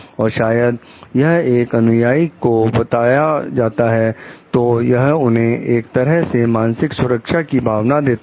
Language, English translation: Hindi, And maybe so this when like told to the followers that it gives them a sense of psychological safety